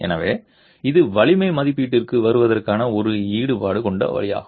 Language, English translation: Tamil, So it's a rather involved way of arriving at the strength estimate